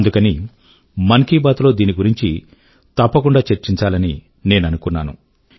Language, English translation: Telugu, So I thought, I should definitely discuss this in Mann ki Baat